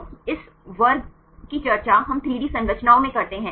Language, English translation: Hindi, So, this class we discuss in 3D structures right